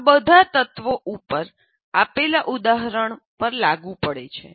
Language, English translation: Gujarati, All these elements apply to the example that I have given